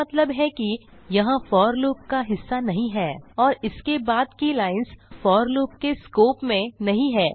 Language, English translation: Hindi, It means that it is not a part of the for loop and the lines after that dont fall in the scope of the for loop